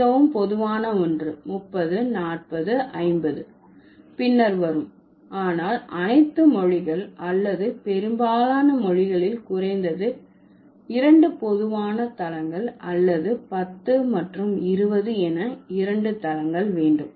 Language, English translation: Tamil, So, the most common ones, 30, 40, 50 that would come later, but all the languages or most of the languages will have at least two common basis or two bases, that is 10 and 20